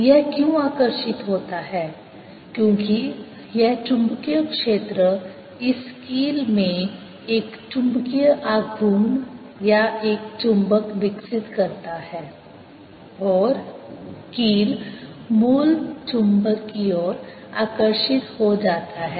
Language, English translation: Hindi, why it gets attracted is because this magnetic field develops a magnetic moment or a magnet in this pin itself and the pin gets attracted towards the original magnet